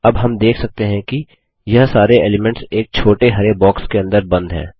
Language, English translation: Hindi, Now we see that all these elements are encased in small green boxes